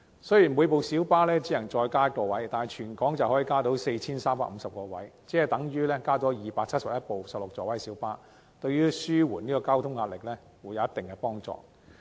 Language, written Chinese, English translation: Cantonese, 雖然每輛小巴只能增加1個位，但全港小巴總共可以增加 4,350 個位，等於增加271輛16座位的小巴，對於紓緩交通壓力會有一定幫助。, Although each PLB may only have one additional seat a total of 4 350 additional seats can be increased in all PLBs which is tantamount to having 271 additional 16 - seat PLBs . This will to a certain extent help alleviating the transport pressure